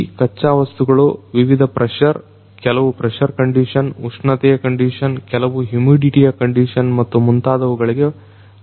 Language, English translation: Kannada, These raw materials are going to be subjected through different pressure, under certain pressure condition, temperature condition, in certain humidity condition and so on